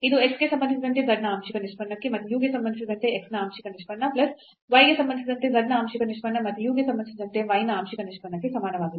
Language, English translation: Kannada, We can use this formula to get the partial derivative of this z with respect to u is equal to the partial derivative of z with respect to x and partial derivative of x with respect to u plus partial derivative of z with respect to y and partial derivative of y with respect to u again because we are differentiating partially z with respect to u